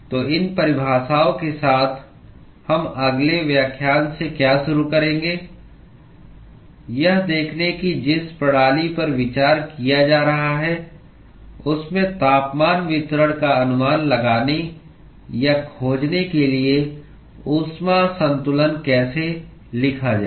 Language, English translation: Hindi, So, with these definitions what we will start from the next lecture is looking at how to write heat balance in order to estimate or find the temperature distribution in the system that is being considered